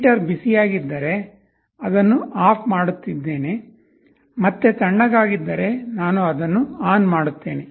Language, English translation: Kannada, I am turning it off if I feel hot, I turn it on if I feel cold again, I turn it on again